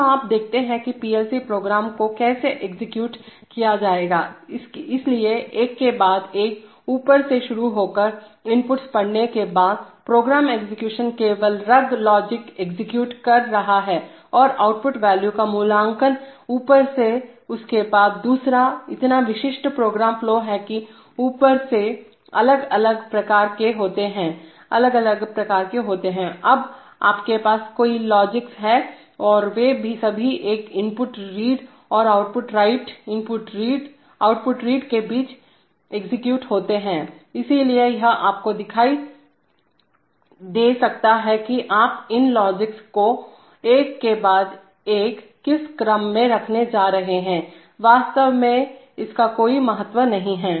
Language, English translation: Hindi, So you see that, how the PLC program will be will be executed, so one after the other starting from the top, after the inputs are read, program execution is simply executing the logic of the rungs evaluating the output values from the top one after the other, so typical program flow is from that, from the top, these are individual rungs, individual rungs, now you have several logics and they are all executed between one input read and output write, output read, so it may appear to you that, in what order you are going to put these logics one after the other is actually immaterial